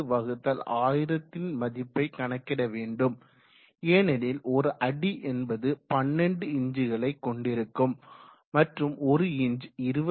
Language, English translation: Tamil, 4/1000 in meter because feet contains 12 inches and each of that inch contains 25